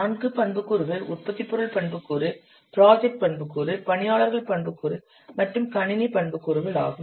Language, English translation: Tamil, The four attributes are product attribute, project attribute, here, personal attribute, and what computer attributes